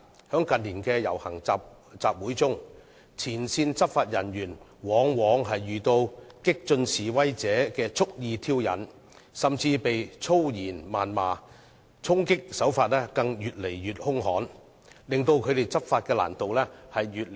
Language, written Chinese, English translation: Cantonese, 在近年的遊行集會中，前線執法人員往往遇到激進示威者的蓄意挑釁，甚至被粗言謾罵，衝擊手法更越來越兇悍，使他們執法的難度越來越大。, In processions and meetings of recent years frontline law enforcement officers are often met with deliberate provocations and even abuses in vulgar languages from radical protesters . Worse still charging comes more and more ferociously thus making their law enforcement more and more difficult